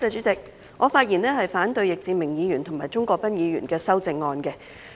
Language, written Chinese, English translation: Cantonese, 主席，我發言反對易志明議員及鍾國斌議員的修正案。, Chairman I rise to speak against the amendments proposed by Mr Frankie YICK and Mr CHUNG Kwok - pan